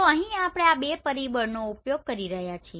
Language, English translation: Gujarati, So here that is why we are using this two factor